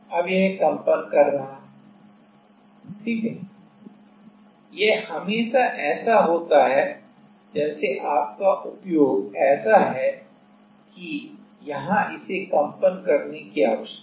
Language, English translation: Hindi, Now, it is vibrating right it is always like your application is such that there is need it needs to vibrate